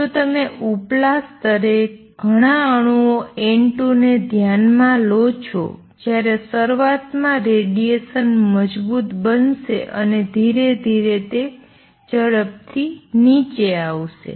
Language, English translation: Gujarati, Is if you consider a lot of atoms N 2 in the upper level when the radiate the radiation initially is going to be strong and slowly it will come down exponentially